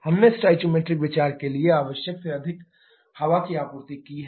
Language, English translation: Hindi, We have supplied air more than what is required for stoichiometric consideration